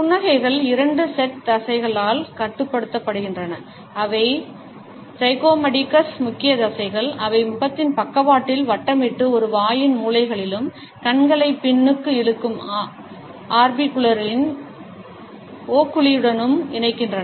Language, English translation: Tamil, Smiles are controlled by two sets of muscles, zygomaticus major muscles which round down with side of face and connect to the corners of a mouth and the orbicularis oculi which pulls the eyes back